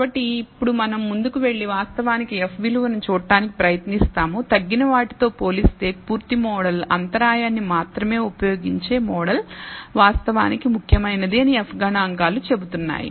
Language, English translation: Telugu, So, now we will go ahead and try to actually look at the F value also, the F statistics says that the full model as compared to the reduced model of using only the intercept is actually significant